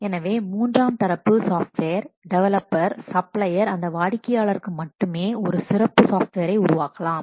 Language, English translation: Tamil, So, the third party or the software, the developer, the supplier may create a special software for that customer only